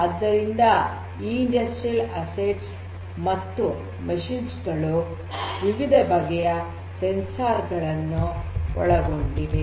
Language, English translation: Kannada, So, these industrial assets and machines these are fitted with different sensors